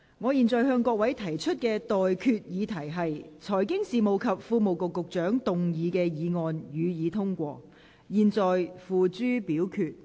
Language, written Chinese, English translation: Cantonese, 我現在向各位提出的待決議題是：財經事務及庫務局局長動議的議案，予以通過。, I now put the question to you and that is That the motion moved by the Secretary for Financial Services and the Treasury be passed